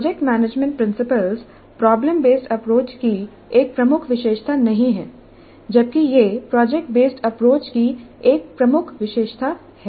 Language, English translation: Hindi, So the project management principles that is not a key feature of problem based approach while it is a key feature of project based approach